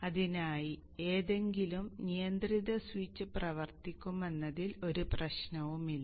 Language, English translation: Malayalam, There is no problem in that, any control switch for that matter